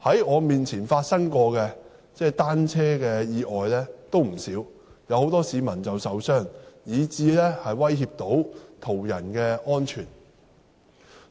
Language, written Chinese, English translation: Cantonese, 我曾目睹不少單車意外，有很多市民受傷，亦威脅到途人的安全。, I have witnessed many bicycle accidents causing injury to the cyclists and jeopardize the safety of pedestrians